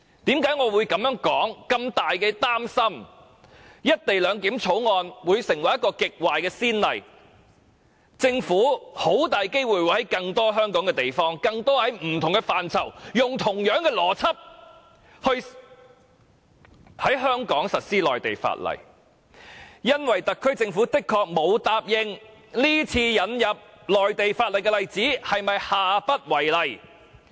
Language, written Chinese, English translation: Cantonese, 我之所以這樣說和感到非常擔心，是因為《條例草案》開立了極壞的先例，以致政府很大機會會在香港其他地方，利用同一邏輯實施內地法例，因為特區政府的確沒有承諾，這次引入內地法例的做法將下不為例。, My above remark and grave concern are attributed to the fact that the Bill has set a very bad precedent whereby the Government will highly likely apply the same logic to implement Mainland laws in other areas of Hong Kong . In fact the HKSAR Government has not undertaken that the current practice of introducing Mainland laws will not be applied again in the future